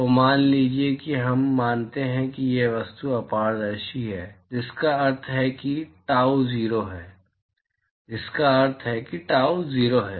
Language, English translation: Hindi, So, supposing we assume that these objects are opaque, which means that tau is 0, which means that tau is 0